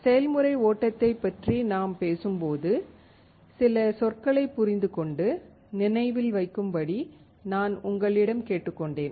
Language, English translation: Tamil, I had asked you to understand and remember some terms when you talk about the process flow